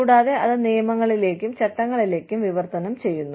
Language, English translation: Malayalam, And, that in turn, translates into rules and laws